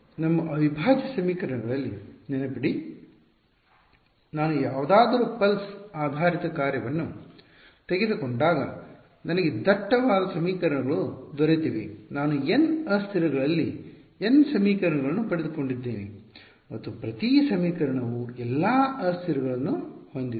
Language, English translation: Kannada, But remember in our integral equations whenever I took anyone pulse basis function I got all I got a dense system of equations I have got n equations in n variables and each equation had all the variables